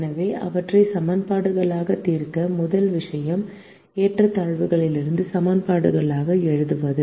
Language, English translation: Tamil, so in order to solve them as equations, the first thing is to write them as equations from inequalities